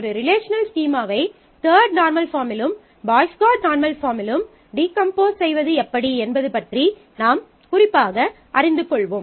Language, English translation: Tamil, We would specifically learn about decomposition of a relational schema into the third normal form and into Boyce Codd BCNF form